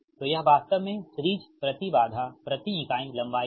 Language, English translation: Hindi, so it is actually series impedance per unit length